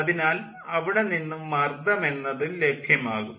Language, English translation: Malayalam, so from there pressure is also given